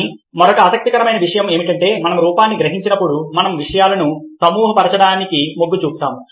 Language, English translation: Telugu, but there is another interesting thing that happens, ah, when we are perceiving form, that is, we tend to group things together